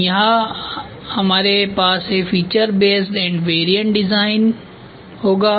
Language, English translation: Hindi, So, here in which we will have feature based and variant design variant design